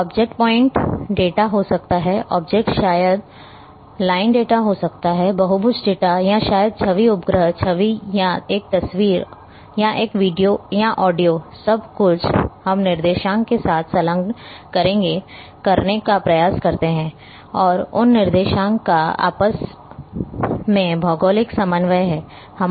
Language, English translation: Hindi, The object may be point data, object maybe the line data, polygon data or maybe image satellite image or a photograph or a video or aud io, everything we try to attach with the coordinates and those coordinates are geographic coordinate